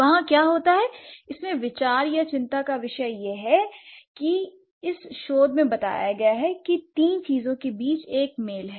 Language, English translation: Hindi, The idea or the concern here is that in this research suggests that there is a match between three things